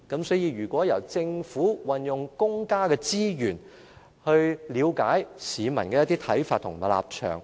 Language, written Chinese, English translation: Cantonese, 所以，如果由政府運用公家資源，去了解市民的看法和立場。, For that reason it will be much better if the Government can use public resources to gauge the viewpoints and standpoints of people